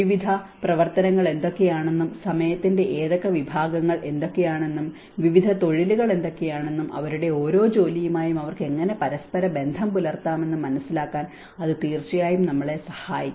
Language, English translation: Malayalam, And that will definitely help us to understand what are the various activities and which segments of time and what are the various professions, how they can correlate with each of their work